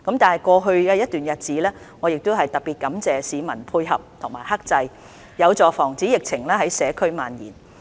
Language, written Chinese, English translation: Cantonese, 在過去一段日子，我感謝市民的配合及克制，這有助防止疫情在社區蔓延。, I wish to thank members of the public for their cooperation and restraint over the past period of time which has helped prevent the epidemic from spreading in the community